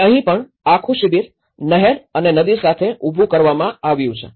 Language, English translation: Gujarati, And even here, the whole camp have set up along with the river along with the canal and the rivers